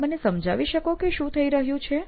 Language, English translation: Gujarati, Now can you explain to me what’s happening